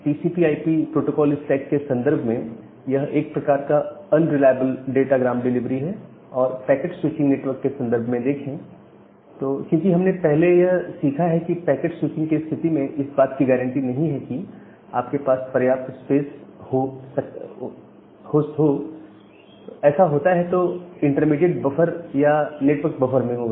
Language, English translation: Hindi, So, this is a kind of unreliable datagram delivery in the context of TCP/IP protocol stack and for the context of packet switching network, because as we have learned earlier that in case of packet switching, there is no guarantee that you have sufficient space, that will be there in the intermediate buffer or the network buffer